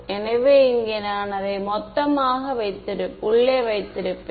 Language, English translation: Tamil, So, I will keep it as total inside over here ok